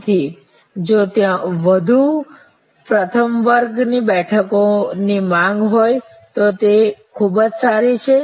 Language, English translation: Gujarati, So, if there a more first class seats are in demand very good